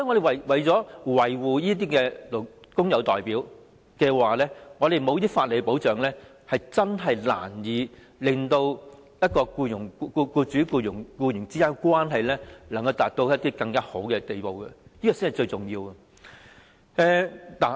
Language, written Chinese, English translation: Cantonese, 為了維護這些工友代表，必須提供一些法理保障，否則，將很難令僱主與僱員之間的關係達到更好的地步，這才是最重要的。, To protect these worker representatives some legal protection must be stipulated otherwise it would be very difficult to improve the employer - employee relationship . This is the most important point